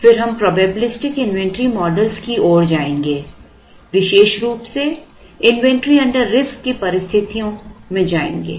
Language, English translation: Hindi, Then we will move into probabilistic inventory models particularly covering situations of inventory under risk